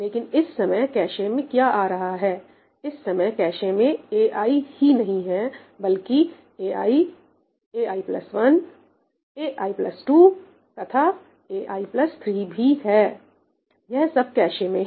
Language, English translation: Hindi, But what is coming into the cache at this time not just ai, but ai, ai plus 1, ai plus 2 and ai plus 3 all of them are in the cache